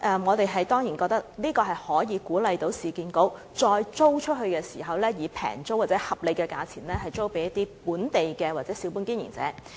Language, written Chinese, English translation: Cantonese, 我們當然覺得這可鼓勵市建局在再次出租商鋪時，可以廉宜的租金或合理價錢租給本地小本經營者。, We certainly agree that this can encourage URA to lease the shops to local small business operators at low or reasonable rents